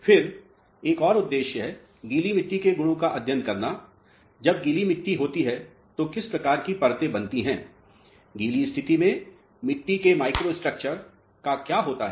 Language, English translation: Hindi, Then another intention is to study the wet properties of the soils, so when soils are wet what type of layers are formed, what happens to the microstructure of the soil in the wet condition